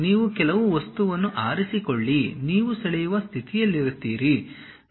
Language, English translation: Kannada, You pick some object; you will be in a position to draw